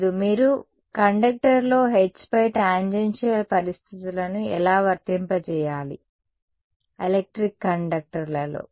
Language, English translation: Telugu, No, how do you apply tangential conditions on H in a conductor; in a electric conductor